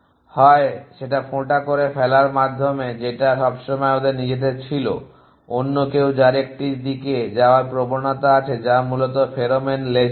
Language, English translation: Bengali, Either drop was themselves always somebody else is that have a tendency to go in a direction which as pheromone trails essentially